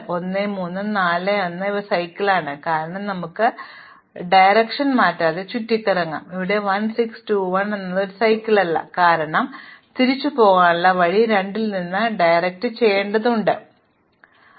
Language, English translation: Malayalam, So, for example, 1, 3, 4, 1 is cycle, because we can go around without changing direction, whereas 1, 6, 2, 1 is not a cycle, because on the way back I have to switch directions from 2 to 1 which I cannot do